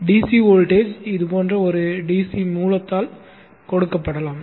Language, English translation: Tamil, The DC voltage can be given by a DC source such as this